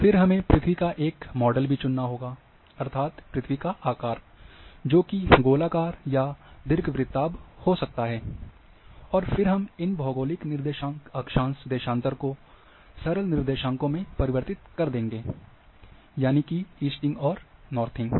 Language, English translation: Hindi, Then we have to also select a model of the earth; that is the shape of the earth, that is sphere or ellipsoid, and then we transform these geographic coordinates latitude longitude, to plane coordinates; that is easting northing